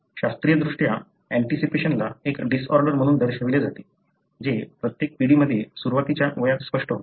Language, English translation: Marathi, Classically, the anticipation is characterized as a disorder, which, that becomes apparent at an earlier age with each generation